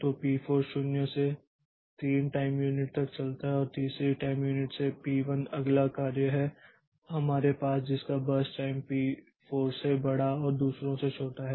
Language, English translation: Hindi, So, P4 runs from 0 to 3 time unit and from third time unit, P1 is the next job that we have whose birth time is just larger than P4 and smaller than others